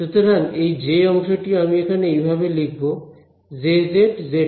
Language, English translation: Bengali, So, this J term over here I will write as J z z hat alright